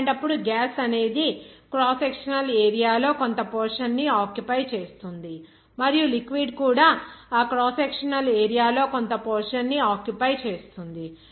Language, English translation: Telugu, In that case, gas will occupy some portion of the cross sectional area and liquid also will occupy some fraction of that cross sectional area